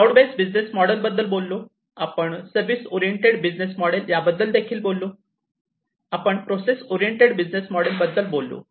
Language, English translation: Marathi, So, we talked about cloud based business model, we talked about the service oriented business model, we talked about the process oriented business model